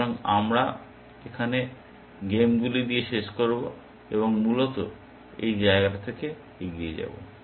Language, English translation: Bengali, So, we will end with games here and move on from this place essentially